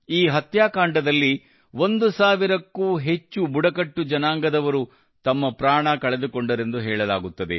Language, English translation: Kannada, It is said that more than a thousand tribals lost their lives in this massacre